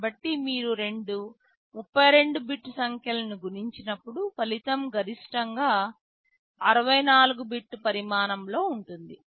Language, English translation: Telugu, So, when you multiply two 32 bit numbers the result can be maximum 64 bit in size